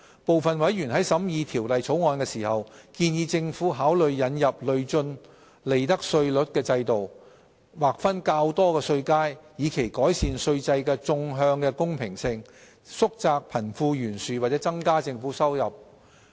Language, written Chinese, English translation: Cantonese, 部分委員在審議《條例草案》時，建議政府考慮引入累進利得稅率的制度，劃分較多稅階，以期改善稅制的縱向公平性、縮窄貧富懸殊或增加政府收入。, When scrutinizing the Bill some members suggested that the Government should consider introducing a progressive profits tax rates regime with more tax bands with a view to better enhancing vertical equity narrowing disparity between the rich and the poor or increasing government revenue